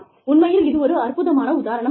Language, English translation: Tamil, It is such a wonderful example